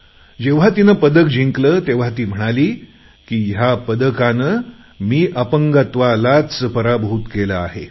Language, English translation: Marathi, When the medal was awarded to her, she said "Through this medal I have actually defeated the disability itself